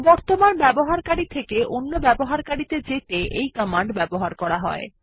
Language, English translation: Bengali, This command is useful for switching from the current user to another user